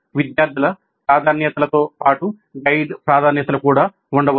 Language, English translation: Telugu, There could be student preferences as well as guide preferences